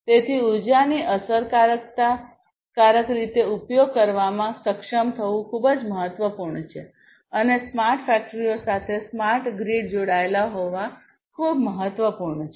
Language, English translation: Gujarati, So, being able to efficiently use the energy is very important and smart grid is having smart grids connected to the smart factories is very important